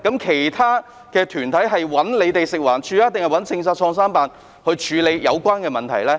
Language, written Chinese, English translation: Cantonese, 其他團體是找食環署還是創新辦處理有關的問題呢？, Have these other organizations approached FEHD or PICO to deal with the matter?